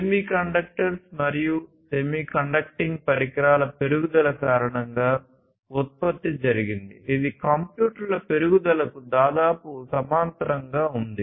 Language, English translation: Telugu, So, this basically this production was due to the increase in semiconductors and semiconducting devices and that was almost in parallel with the growth of computers